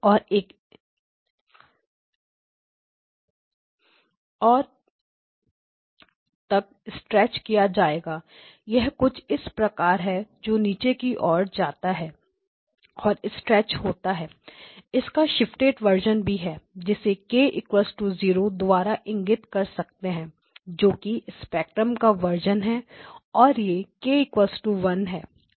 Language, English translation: Hindi, And it will get stretched all the way to Pi so it is something of this type it is down and then stretched, there is a shifted version of it this is also present, so this is the k equal to 0 version of the spectrum and this is k equal to 1